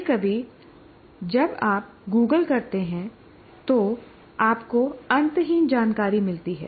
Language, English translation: Hindi, Sometimes when you Google, you get endless number of, endless amount of information